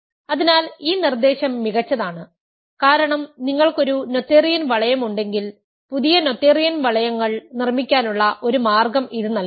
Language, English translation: Malayalam, So, this proposition is nice because it gives us a way to construct new noetherian rings if you have a noetherian ring